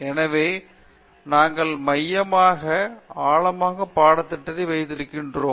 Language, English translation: Tamil, So, this is what we have termed as a core curriculum